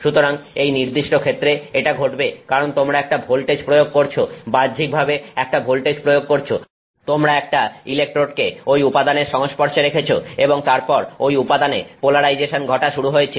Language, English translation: Bengali, So, this happened in this particular case because you applied a voltage, externally applied voltage you put on electrodes touching that material and then the polarization of that material happened